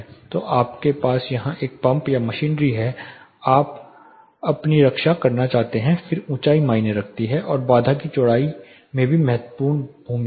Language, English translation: Hindi, So you have a pump or machinery here, you want to protect yourself then height matters and number two the width of the barrier also has a significant role